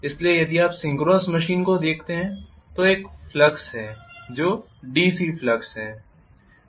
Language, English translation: Hindi, So if you look at the synchronous machine you are going to have a flux which is DC flux